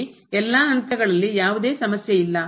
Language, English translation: Kannada, So, at all these points where there is no problem